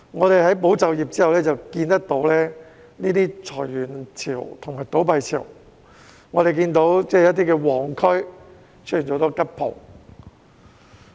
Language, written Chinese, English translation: Cantonese, 在"保就業"計劃完結後，我們看到裁員潮和倒閉潮，一些旺區出現很多"吉鋪"。, Following the conclusion of the Employment Support Scheme we have witnessed wave after wave of layoffs and business closures as well as vacant shops in some busy districts